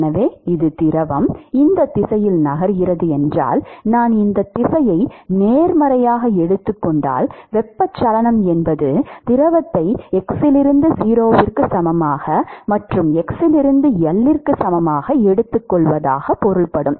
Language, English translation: Tamil, So this is the, supposing if the fluid is moving in this direction so if I take this direction is positive, Convection is taking the fluid from x equal to 0 to x equal to L right